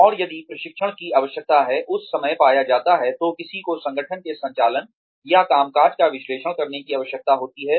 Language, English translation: Hindi, And, if the training need, is found to be there, at that time, then one needs to analyze, the operations or the working, of the organization